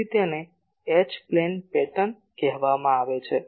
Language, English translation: Gujarati, So, that is called H plane pattern